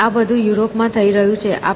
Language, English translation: Gujarati, So, all this is happening in Europe